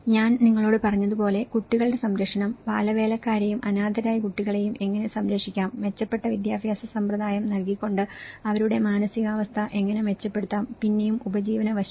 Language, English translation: Malayalam, And as I said to you, the child protection, how the child labour and the orphan children could be protected, how their psychological conditions could be improved by providing a better education systems and again the livelihood aspect